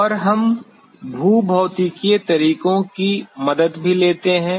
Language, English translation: Hindi, And, we also do take help of the geophysical methods